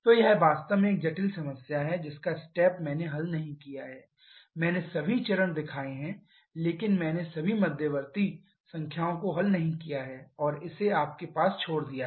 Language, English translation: Hindi, So, this is a really complicated problem I have not solved it step I have shown all the stage but I have not solved given all the intermediate numbers and leaving in to you please try to solve it on your own